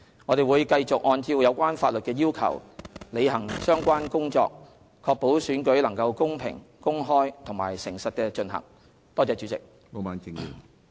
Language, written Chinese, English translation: Cantonese, 我們會繼續按照有關法律的要求，履行相關工作，確保選舉能公平、公開和誠實地進行。, We will continue to perform the relevant duties in accordance with the law and ensure that elections are conducted in a fair open and honest manner